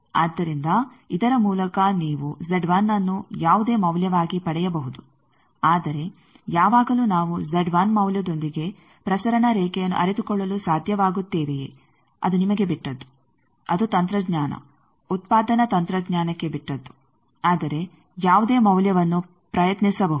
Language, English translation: Kannada, So, by this you can get Z 1 to be any value and, but always whether we will be able to realize it transmission line with value Z 1 that is up to you, that is up to technology manufacture technology, but any value can be attempted